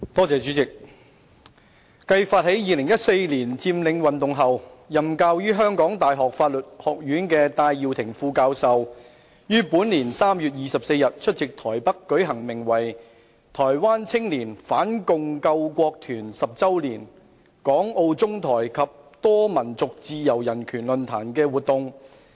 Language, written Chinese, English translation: Cantonese, 主席，繼發起2014年佔領運動後，任教於香港大學法律學院的戴耀廷副教授，於本年3月24日出席台北舉行名為"台灣青年反共救國團十週年—港澳中台及多民族自由人權論壇"的活動。, President subsequent to his initiation of the occupation movement in 2014 Associate Professor Benny TAI Yiu - ting who teaches at the Faculty of Law of the University of Hong Kong attended an activity entitled The 10 Anniversary of the Taiwan Youth Anti - Communist National Salvation Corps―A Forum on Freedom and Human Rights in Hong Kong Macao China Taiwan and Multi - ethnic Groups held in Taipei on 24 March this year